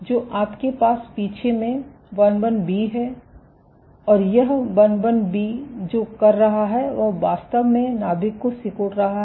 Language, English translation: Hindi, So, you have II B at the rear, and what this is doing II B is actually squeezing the nucleus ok